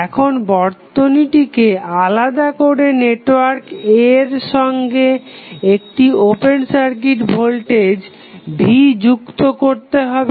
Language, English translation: Bengali, Now, disconnect the network be defined a voltage V open circuit across the terminal of network A